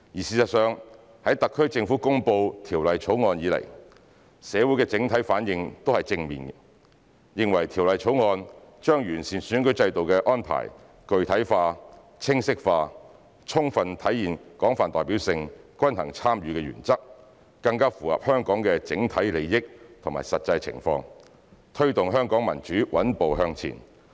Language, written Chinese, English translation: Cantonese, 事實上，在特區政府公布《條例草案》以來，社會的整體反應都是正面的，認為《條例草案》把完善選舉制度的安排具體化、清晰化，充分體現廣泛代表性、均衡參與原則，更符合香港整體利益及實際情況，推動香港民主穩步向前。, In fact since the SAR Governments announcement of the Bill the overall response has been positive in the community considering that the Bill specifies and clarifies the arrangement for improving the electoral system and fully demonstrates the principles of broad representation and balanced participation and can better meet the overall interests and actual circumstances of Hong Kong to promote the steady progress on extending democracy in Hong Kong